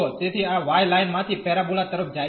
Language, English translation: Gujarati, So, this y goes from the line to the parabola